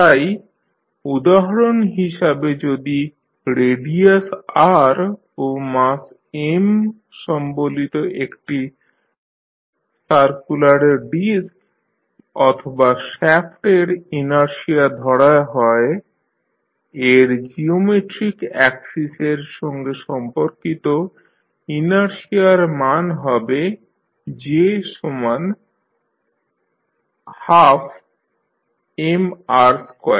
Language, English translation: Bengali, So for instance, if the inertia of a circular disk or r shaft of radius r and mass M, the value of inertia about its geometric axis is given as, j is equal to half of M into r square